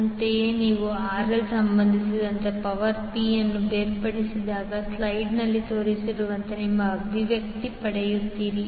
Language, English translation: Kannada, Similarly, when you differentiate power P with respect to RL you get the expression as shown in the slide